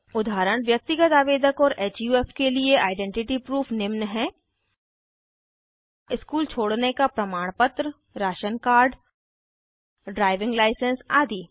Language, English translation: Hindi, Proof of identity for Individual applicants and HUF are School leaving certificate Ration Card Drivers license etc